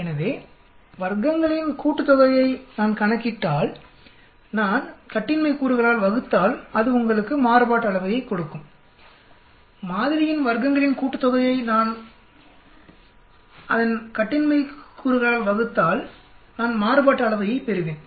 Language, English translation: Tamil, So if I calculate sum of squares, if I divide by degrees of freedom that will give you the variance, if take a calculate sum of squares within sample divided by its degrees of freedom I will get the variance